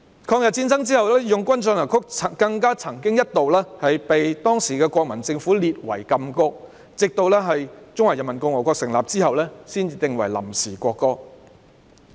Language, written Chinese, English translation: Cantonese, 抗日戰爭後，"義勇軍進行曲"更一度被當時的國民政府列為禁歌，直至中華人民共和國成立後才定為臨時國歌。, After the Anti - Japanese War March of the Volunteers was even banned by the then Kuomintang Government . It was not until the establishment of the Peoples Republic of China that it was adopted as the provisional national anthem